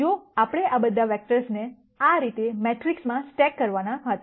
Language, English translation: Gujarati, If we were to stack all of these vectors in a matrix like this